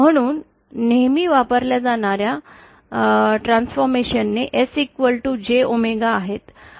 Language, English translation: Marathi, So, usual transformations that are used is S equal to J omega